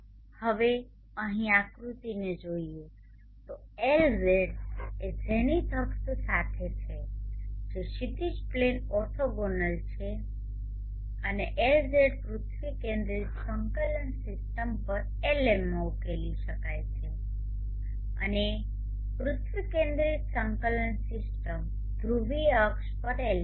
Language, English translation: Gujarati, Now looking at the figure here Lz is along the zenith axis which is orthogonal to the horizon plane and Lz can be resolved into Lm on the earth centric coordinate system and also Lp on the earth centric coordinate system polar axis